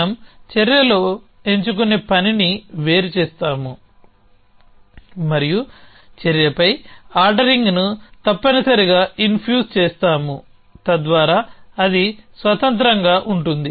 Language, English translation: Telugu, So, we separate the task of selecting in action and infusing an ordering on the action essentially so that is then independently